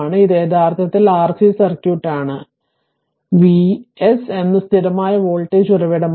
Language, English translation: Malayalam, This is actually your RC circuit, this is RC circuit and V s is a constant voltage source